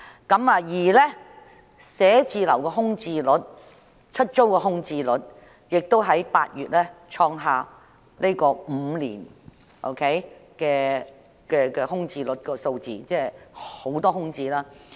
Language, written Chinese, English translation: Cantonese, 至於寫字樓的空置率，即出租空置率方面，亦於8月份創下5年以來的新高，這意味着有很多單位空置。, Regarding the vacancy rate of office space that is the vacancy rate in the rental market the figure in August also hit a new high in the past five years which implies that many units are vacant . The situation is in fact obvious to all